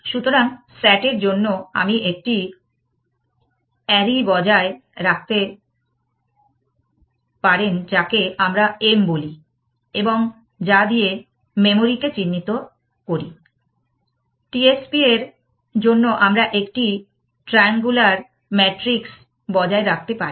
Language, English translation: Bengali, So, for S A T you could maintain and array which traditionally we called it M, which stands for memory, for T S P we could maintain a triangular matrix